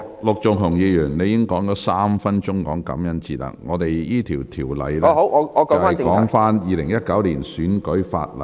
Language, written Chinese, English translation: Cantonese, 陸議員，你已經用了3分鐘談論感恩節，但這項辯論的議題是《2019年選舉法例條例草案》。, Mr LUK you have spent three minutes talking about Thanksgiving Day but the subject of this debate is the Electoral Legislation Bill 2019